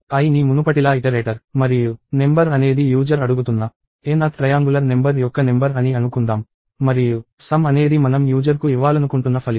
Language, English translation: Telugu, Let us say i as before is the iterator and number is the number of the n th triangular number that the user is asking for; and sum is the result that we want to give to the user